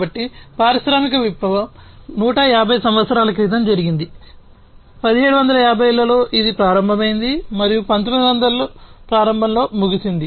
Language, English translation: Telugu, So, the industrial revolution happened more than 150 years back, in the 1970s it started, and ended in the early 1900